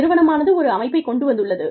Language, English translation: Tamil, The organization put a system in place